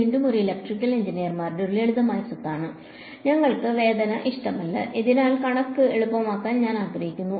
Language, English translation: Malayalam, Again this is it is a simple property of electrical engineers we do not like pain so we want to make math easier right